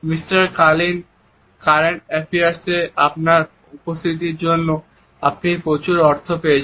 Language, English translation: Bengali, Mister Kaelin, you have got a lot of money for your appearance on current affair